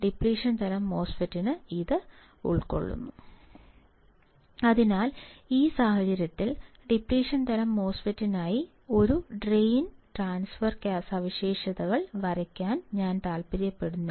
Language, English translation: Malayalam, Depletion type MOSFET constitutes this So, in this case if I want to draw a drain transfer characteristics, for depletion type MOSFET